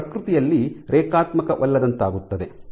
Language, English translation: Kannada, So, it becomes non linear in nature ok